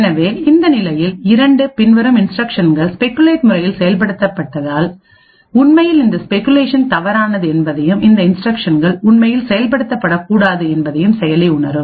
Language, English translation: Tamil, So, in this condition 2 since these instructions following have been speculatively executed the processor would realize that in fact this speculation was wrong and these instructions were actually not to be executed